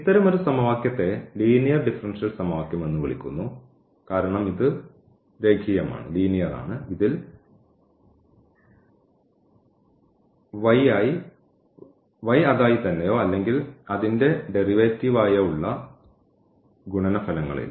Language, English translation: Malayalam, So, such a question is called a linear differential equation because this is linear there is no product of y or y with the its derivative